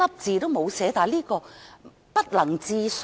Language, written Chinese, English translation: Cantonese, 這實在不能置信。, This is really unbelievable